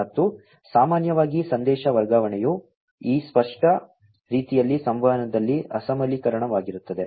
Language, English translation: Kannada, And, typically the message transfer is asynchronous in this explicit type of communication